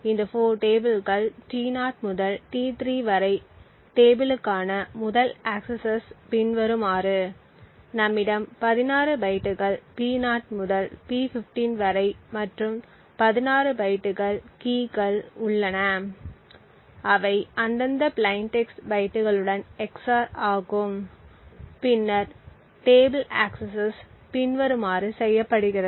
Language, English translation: Tamil, So, these 4 tables are T0 to T3 the first accesses to the tables is as follows, so we have like 16 bytes P0 to P15 and 16 bytes of key which are XOR with their respective plain text bytes and then there are table accesses which are done as follows